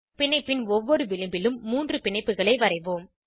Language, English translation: Tamil, On each edge of the bond let us draw three bonds